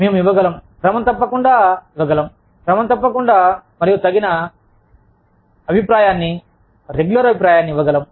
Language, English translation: Telugu, We can give, regular, we can make a commitment to giving, regular and appropriate feedback, regular feedback